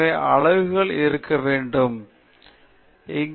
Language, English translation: Tamil, So, there must be units; so, that is missing here